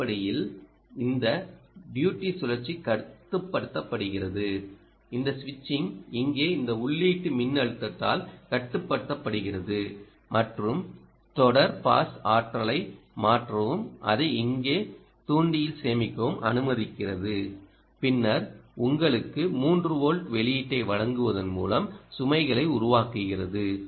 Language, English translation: Tamil, this switching is controlled here by this ah input voltage here and the series pass allows you to transfer ah the energy and store it in the, in the inductor here, and then sources the load by giving you a three volt output